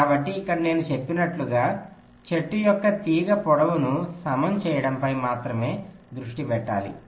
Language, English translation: Telugu, so here, as i had said, we need to concentrate only on equalizing the wire lengths of the tree